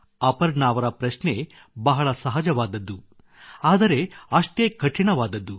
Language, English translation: Kannada, " Aparna ji's question seems simple but is equally difficult